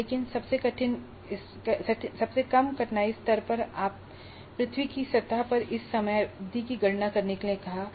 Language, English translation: Hindi, But in the lowest difficulty level, it just asked for this time period calculation on the surface of the earth